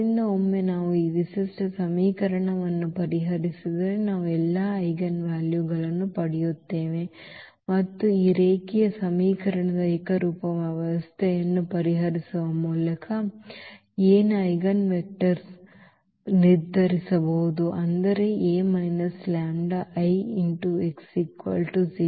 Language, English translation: Kannada, So, once we solve this characteristic equation we will get all the eigenvalues and the eigenvectors of A can be determined by this solving the homogenous system of this linear equation; that means, this A minus this lambda I x is equal to 0